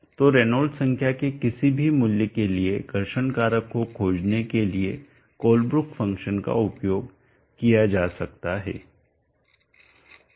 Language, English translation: Hindi, 037 slightly lower, so the Colebrook function can be used how to find the friction factor for any given value of the Reynolds number